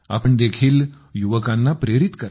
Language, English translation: Marathi, You too motivate the youth